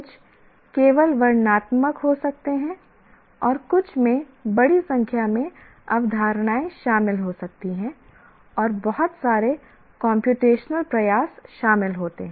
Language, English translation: Hindi, And some maybe there are a large number of concepts involved and a lot of computational effort is involved